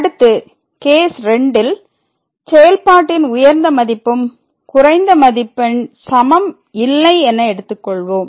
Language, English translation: Tamil, So, now the second case when the maximum value of the function is not equal to the minimum value of the function